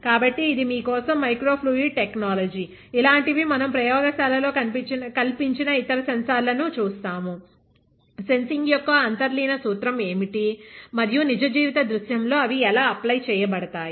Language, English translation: Telugu, So, that is micro fluid technology for you; like this we will see other sensors that we have fabricate in the lab, what are the method, what are the underlying principle of sensing, and how they are applied in a real life scenario